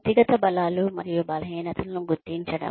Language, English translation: Telugu, Identifying individual strengths and weaknesses